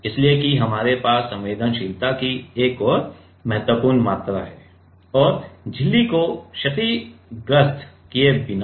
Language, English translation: Hindi, So, that we have a significant amount of sensitivity and without making the membrane to get damaged right